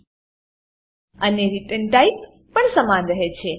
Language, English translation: Gujarati, And the return type is also same